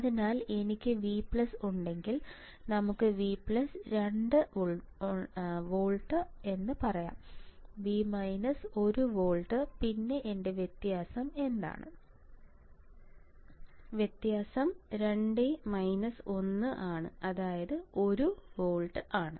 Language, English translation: Malayalam, So, if I have V plus, let us say V plus equals to 2 volts V; V minus equals to 1 volt then what with my difference; difference will be 2 minus 1 into gain that will be 1 into gain